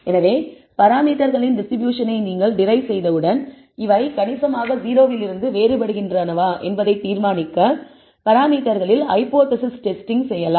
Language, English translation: Tamil, So, once you have derived the distribution of the parameters we can perform hypothesis testing on the parameters to decide whether these are significantly different from 0 and that is what we are going to do